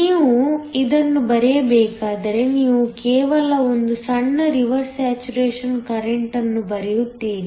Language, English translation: Kannada, If you were to draw this, you would just draw a small reverse saturation current